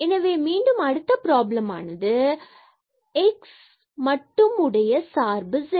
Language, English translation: Tamil, So, again this is the derivative of x with respect to t